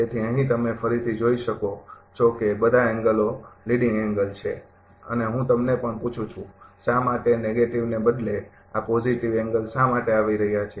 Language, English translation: Gujarati, So, here again you can see that all the angles are leading angle and I ask you also that why instead of negative, why this positive angle is coming